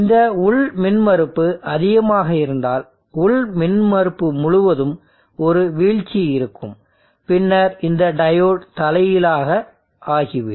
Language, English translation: Tamil, And if this has a impedance, internal impedance which is larger then there will be a drop across the internal impedance, and then this diode may reverse biased